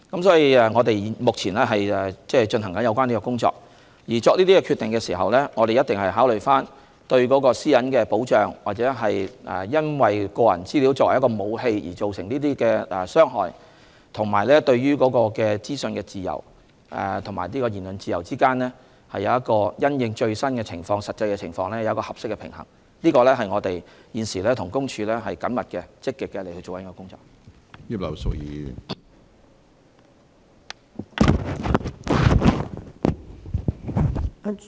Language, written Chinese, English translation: Cantonese, 所以，我們目前正進行有關工作，而在作出決定時，必定會考慮在保障私隱，或因個人資料被用作武器而造成的傷害，以及保障資訊自由和言論自由之間，如何能因應最新實際情況取得適當平衡，這是我們現時正與公署緊密和積極進行的工作。, Hence we are now working on it . In making the relevant decision certainly we have to consider privacy protection harm done when personal data is used as a weapon and the protection of freedom of information and freedom of expression with a view to striving for an appropriate balance in response to the latest situation in actuality . We are now following up on this closely and proactively with PCPD